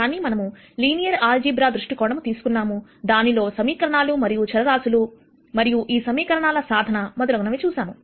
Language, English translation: Telugu, But we took a linear algebraic view where we looked at equations and variables and solvability of these equations and so on